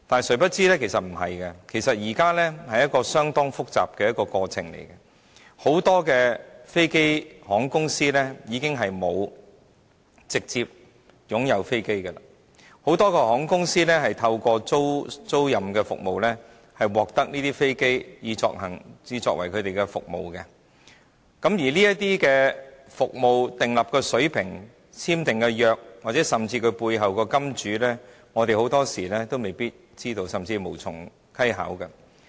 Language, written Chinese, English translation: Cantonese, 殊不知不是這樣的，是一個相當複雜的過程，因為很多航空公司已經沒有直接擁有飛機，只透過租賃服務獲得飛機以提供服務，當中服務所訂立的水平、簽訂的合約甚至背後的"金主"，我們很多時候都未必知道，甚至無從稽考。, It is because many airlines no longer directly own their aircraft and the carrier service is provided by leased aircraft through leasing services . In this respect we do not know or even we will never know the level of services the content of the agreement and even the money man behind such an aircraft leasing deal . Let me cite a simple example